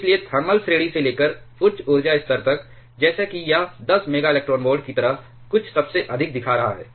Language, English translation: Hindi, So, from the thermal range to quite high energy levels like here it is showing something like 10 MeV at the highest one